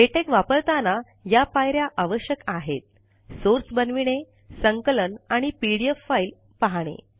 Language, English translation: Marathi, To use latex, one should go through these phases: creation of source, compilation and viewing the pdf file